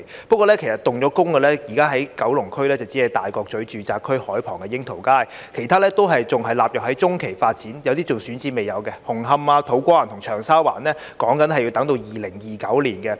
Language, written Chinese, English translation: Cantonese, 不過，現時已經動工的，只有九龍區大角咀住宅區海旁的櫻桃街，其他仍然納入在中期發展，有些更未有選址，紅磡、土瓜灣和長沙灣的工程亦要等到2029年才完成。, Others are still included in mid - term development . Some are even pending site identification . Moreover the works in Hung Hom To Kwa Wan and Cheung Sha Wan will not be completed until 2029